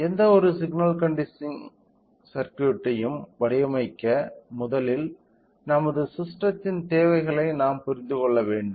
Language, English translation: Tamil, So, in order to design any signal conditioning circuit first we should understand the requirements of our system